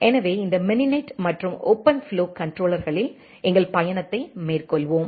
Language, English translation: Tamil, So, let us have our journey on this mininet and OpenFlow controllers